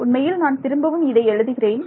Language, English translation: Tamil, Actually let me let me write this once again